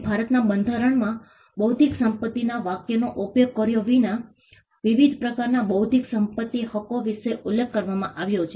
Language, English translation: Gujarati, And the Constitution of India does mention about the different types of intellectual property rights without using the phrase intellectual property itself